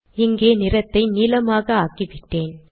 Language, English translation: Tamil, I have changed the color here to blue and so on